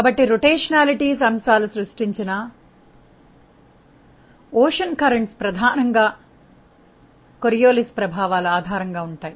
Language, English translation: Telugu, So, there are rotational it is in the ocean currents which are predominantly created by the Coriolis effects